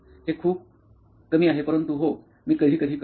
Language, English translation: Marathi, It is very less but yes, I do sometimes